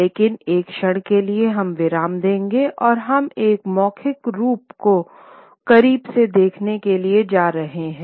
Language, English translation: Hindi, But for a moment we will pause and we are going to take a look at, a close look at one oral form